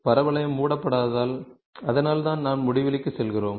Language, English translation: Tamil, Since the parabola is not closed, so that is why we go to infinity